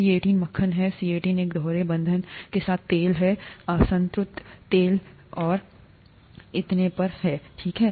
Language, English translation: Hindi, C18 is butter, C18 with a double bond is oil, unsaturated oil and so on, okay